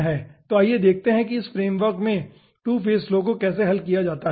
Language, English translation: Hindi, so let us see how 2 phase flow can be solved in this framework